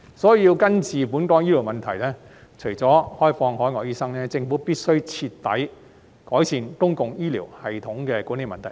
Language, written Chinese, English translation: Cantonese, 所以，要根治本港的醫療問題，除了開放海外醫生，政府必須徹底改善公共醫療系統的管理問題。, Therefore in order to bring a permanent cure to Hong Kongs healthcare problems the Government must thoroughly improve the management of the public healthcare system apart from opening up for overseas doctors